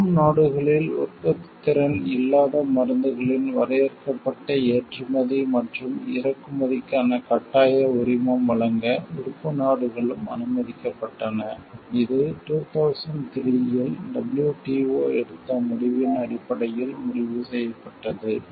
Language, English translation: Tamil, Member states were also allowed to grant a compulsory license for limited export and import of medicines where the receiving countries lacks manufacturing capacity, this was decided based on the decision taken by WTO in 2003